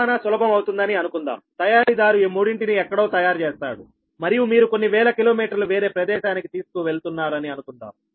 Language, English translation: Telugu, suppose manufacturer manufactures these somewhere and you are carrying some thousand kilometers to some other place